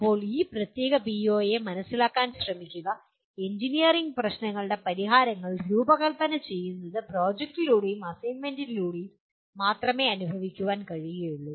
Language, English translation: Malayalam, Now trying to just kind of understand this particular PO, designing solutions for engineering problems can only be experienced through projects and assignments